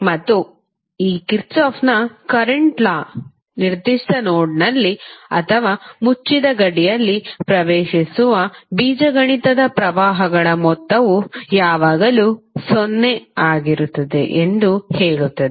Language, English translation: Kannada, And this Kirchhoff’s current law states that the algebraic sum of currents entering in a particular node or in a closed boundary will always be 0